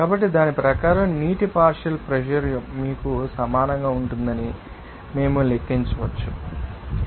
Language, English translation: Telugu, So, according to that we can calculate what will the partial pressure of water it will be equal to you know xwater is 0